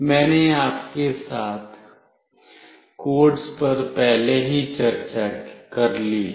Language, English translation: Hindi, I have already discussed the codes with you